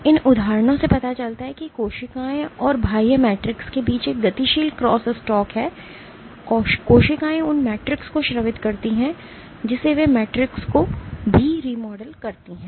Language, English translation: Hindi, What these examples show is that there is a dynamic crosstalk between cells and extracellular matrix: the cells secrete the matrix they also remodel the matrix